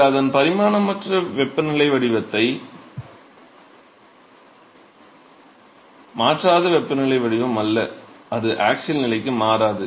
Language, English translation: Tamil, So, it is not the temperature profile which is not changing its the dimensionless temperature profile, it does not change to the axial position